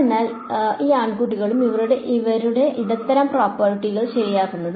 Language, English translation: Malayalam, Right; so these guys, these guys and these guys this is where the medium properties come into place ok